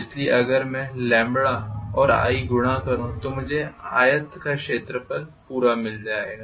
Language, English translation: Hindi, So if I multiply i and lambda together I get the complete area of the rectangle